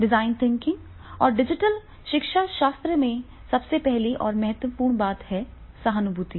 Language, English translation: Hindi, So, in design thinking process and digital pedagogy, what is becoming is that is the empathize